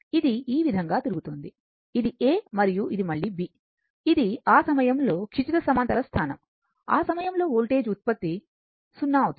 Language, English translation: Telugu, It is revolving this way, this is A and this is B again, it will horizontal position at that time voltage generation will be 0